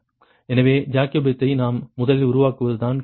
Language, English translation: Tamil, so question is the first: we have to form the jacobian